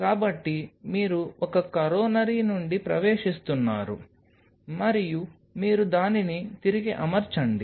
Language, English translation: Telugu, So, from one coronary you are entering and then you rearrange it